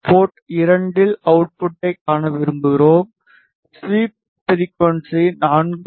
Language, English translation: Tamil, We want to see the output at port 2 and sweep frequency should be 4